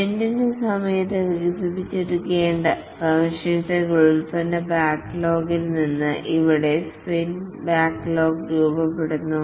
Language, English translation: Malayalam, Here the sprint backlog is formed from the product backlog, the features to be developed during the sprint